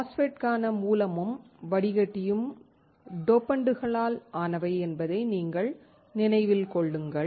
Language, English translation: Tamil, If you remember, the source and drain for the MOSFET are made of dopants